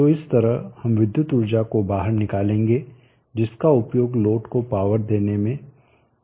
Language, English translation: Hindi, So in this way we will get out the electrical energy which can be used for covering up the loads